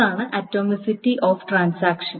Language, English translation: Malayalam, So that's the atomicity of transactions